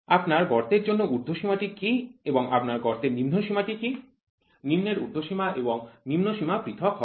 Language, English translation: Bengali, For your hole what is your upper limit of your hole and what is your lower limit of your hole; the lower upper limit and lower limits will be different